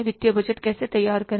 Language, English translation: Hindi, So, financial budgets